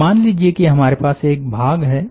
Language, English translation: Hindi, now let us say that we have an element